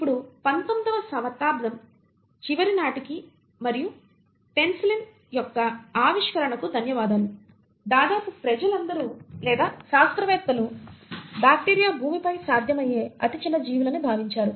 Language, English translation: Telugu, Now by the end of 19thcentury and thanks the discovery of penicillin, more or less people or scientists thought that bacteria are the smallest possible organisms on Earth